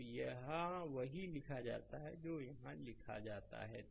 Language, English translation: Hindi, So, that is what is written there what is written here right